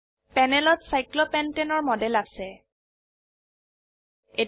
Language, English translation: Assamese, We have a model of cyclopentane on the panel